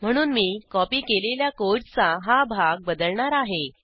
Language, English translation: Marathi, So I will change this part of the copied code